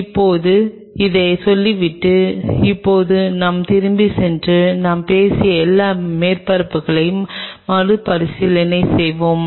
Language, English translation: Tamil, Now, having said this now let us go back and revisit what all surfaces we have talked about